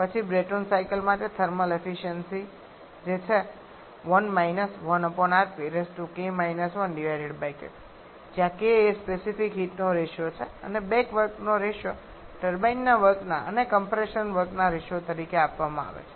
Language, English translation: Gujarati, Then the thermal efficiency for a Brayton cycle that is 1 1 upon R P to the power k 1 upon k where k is the ratio of specific heats and the back work ratio is given as the ratio of compression work to the turbine work